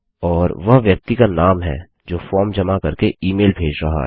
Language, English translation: Hindi, And that is the name of the person sending the email by submitting the form